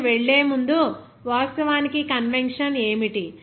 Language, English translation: Telugu, Before going to that, what is that actually convection